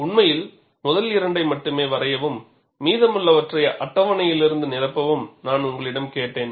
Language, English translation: Tamil, In fact, I had asked you to draw only the first two, fill up the rest from the table